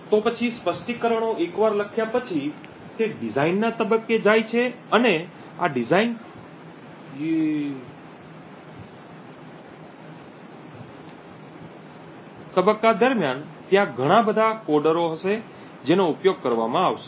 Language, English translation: Gujarati, So then once the specifications are written it goes to a design phase and during this design phase there will be a lot of coders that are used